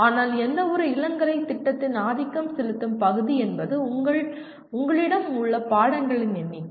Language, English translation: Tamil, But the dominant part of any program, undergraduate program are the number of courses that you have